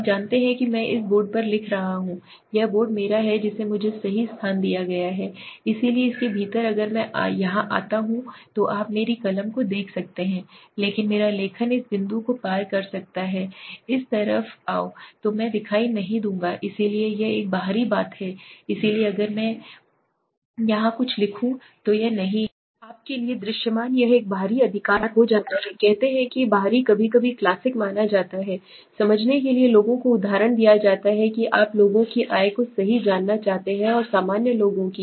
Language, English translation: Hindi, You know suppose I am writing on this board this board is my I have been given a space right, so within this if I come here you can my pen my writing is visible but suppose I cross this dot I come this side right I will not be visible so this is an outlier so if I write something here it is not visible to you this is becomes an outlier right say outlier is sometimes suppose the classic example to understand is people are given suppose you want to know the income of people right and of the general people